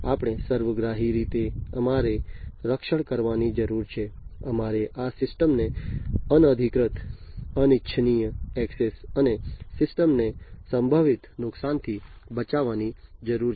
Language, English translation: Gujarati, We have to holistically, we need to protect we need to protect this system from unauthorized, unintended access and potential harm to the system